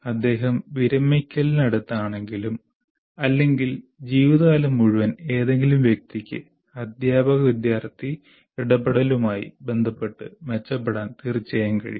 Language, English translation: Malayalam, Even if he is close to retirement or any person for that matter, lifelong can continue to improve with regard to teacher student interaction